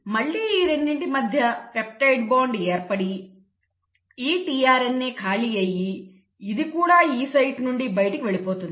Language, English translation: Telugu, Again there will be a peptide bond formation between these 2 and then this tRNA becomes empty and then this tRNA also moves out of the E site